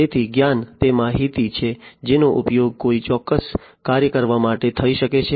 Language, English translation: Gujarati, So, knowledge is that information that can be used to perform a particular task